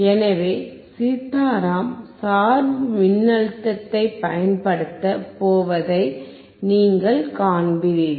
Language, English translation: Tamil, So, you will see that Sitaram is going to apply the bias voltage